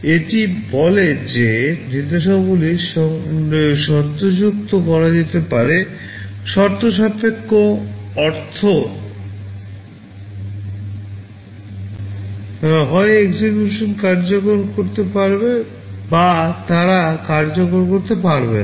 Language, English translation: Bengali, This says that the instructions can be made conditional; conditional means they may either execute or they may not execute